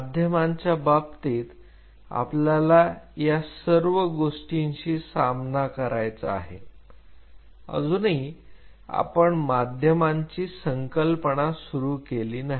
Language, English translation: Marathi, In terms of the medium will have to deal with this whole thing we still have not really started the concept of medium